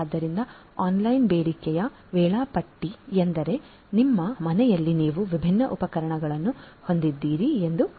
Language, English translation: Kannada, So, online demand scheduling means like let us say at your home you have different different appliances